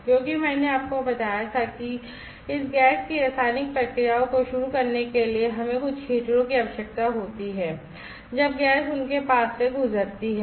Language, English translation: Hindi, Because I told you that we need to have some heater in order to start this chemical processes of this materials when the gas is pass through them